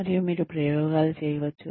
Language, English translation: Telugu, And, you can experiment